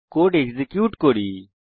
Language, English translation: Bengali, Lets execute the code